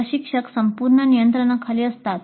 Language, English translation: Marathi, The instructor is in total control